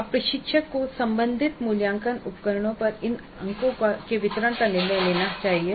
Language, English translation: Hindi, Now the instructor must decide on the distribution of these marks over the relevant assessment instruments